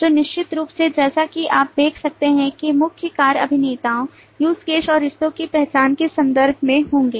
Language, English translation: Hindi, So certainly, as you can see, the main actions would be in terms of identification of actors, use cases and the relationships